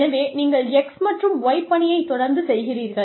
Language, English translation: Tamil, So, you keep doing x and y